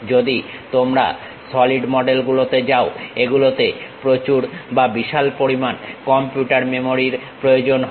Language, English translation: Bengali, If you are going with solid models, it requires enormous or gigantic computer memory